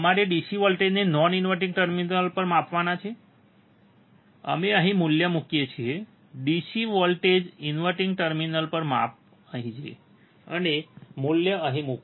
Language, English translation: Gujarati, We have to measure the DC voltage at non inverting terminal, we put the value here, DC voltage inverting terminal measure here, and put the value here